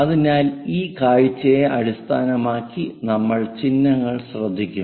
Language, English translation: Malayalam, So, based on which view we will note the symbols